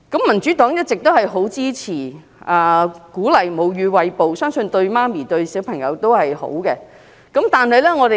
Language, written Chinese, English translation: Cantonese, 民主黨一直很支持、鼓勵餵哺母乳，相信對母親和嬰兒也是好的。, The Democratic Party all along supports and encourages breastfeeding . We think this is good to the mother and the baby